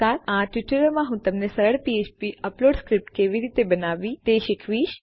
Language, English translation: Gujarati, In this tutorial Ill show you how to create a simple php upload script